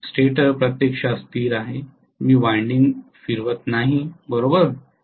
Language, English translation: Marathi, Stator is actually stationary I have not made the windings rotate, have I